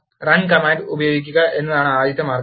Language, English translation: Malayalam, The first way is to use run command